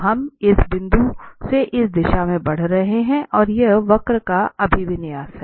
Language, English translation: Hindi, So we are moving from this point in this direction and that is the orientation of the curve